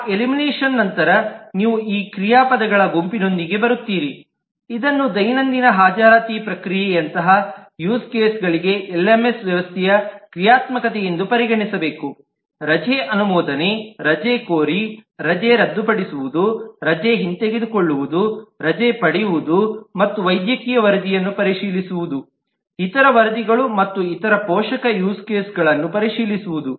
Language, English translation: Kannada, So if you read through, then, even after that elimination, you will come up with possibly these set of verbs which should be considered as a functionality of LMS system for use cases like the Daily Attendance process: requesting leave, approving leave, cancelling leave, revoking leave, availing leave and checking the medical report, checking other reports and various other supporting use cases